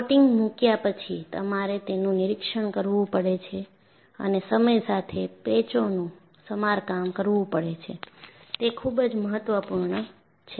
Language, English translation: Gujarati, So, after putting the coating, you have to inspect it and periodically repair those patches, it is very important